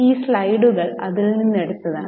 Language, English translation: Malayalam, So, we have taken these slides from that